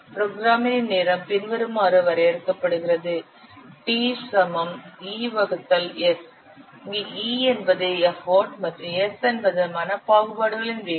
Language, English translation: Tamil, Programmer's time is defined as E by S where E is the effort and S is the speed of mental discrimination